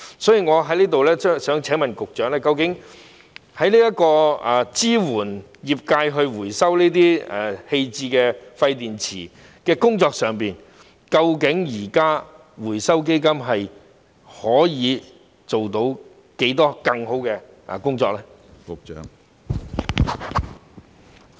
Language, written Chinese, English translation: Cantonese, 所以，我想在此請問局長，在支援業界回收棄置廢電池的工作上，究竟現時回收基金可以做到多少更好的工作？, Therefore here I would like to ask the Secretary how much more can be done by the present Fund to better support the industry in recycling discarded waste batteries